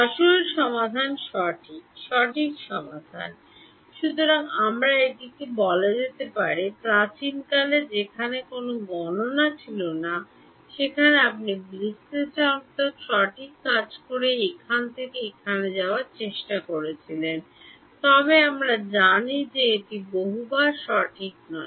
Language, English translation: Bengali, The actual solution right exact solution; so, we can call this is the, in the olden days where there was no computation you try to go from here to here by doing what analytical right, but we know that is not possible many times right